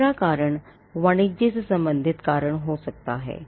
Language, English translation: Hindi, Now, the third reason could be reasons pertaining to commerce